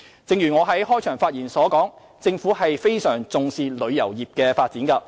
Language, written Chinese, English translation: Cantonese, 正如我在開場發言指出，政府十分重視旅遊業的發展。, As I pointed out in the opening remarks the Government attaches great importance to the development of the tourism industry